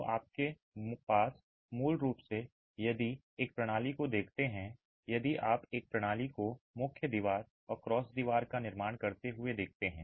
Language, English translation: Hindi, So, you basically have if you look at one system, if you look at one system constituting of the main wall and the cross wall